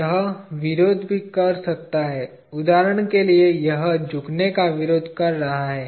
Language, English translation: Hindi, It could also be resisting; for example this is resisting bending